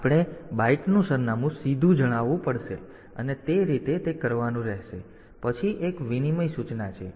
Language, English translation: Gujarati, So, we have to tell the byte address directly and that way it has to be done then there is an exchange instruction